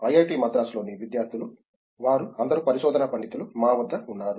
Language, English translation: Telugu, We have with us a collection of students they are all research scholars here at IIT Madras